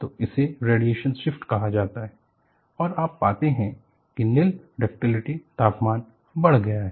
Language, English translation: Hindi, So, this is called radiation shift and you find the nil ductility transition temperature has increased